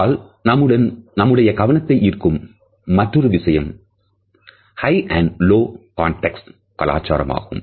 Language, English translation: Tamil, Another aspect towards which Hall has drawn our attention is of high and low context cultures